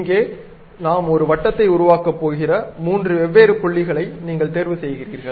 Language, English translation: Tamil, So, you pick three different points around which we are going to construct a circle